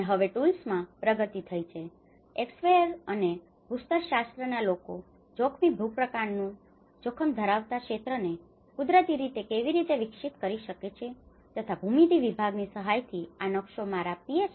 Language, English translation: Gujarati, And now there has been advancement in the tools, how a surveyor can naturally do and the geomatics people can develop the hazard mapping, the landside prone area, this is a map developed from my Ph